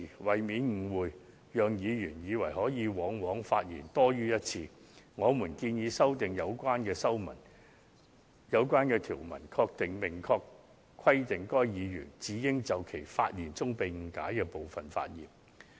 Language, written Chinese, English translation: Cantonese, 為免議員誤會可以發言多於一次，我們建議修訂有關條文，明確規定議員只應就其發言中被誤解的部分發言。, To avoid possible misunderstanding by Members who think they are allowed to speak more than once we propose to amend the rule by stating in express terms that Members can speak on the misunderstood part of whose speech only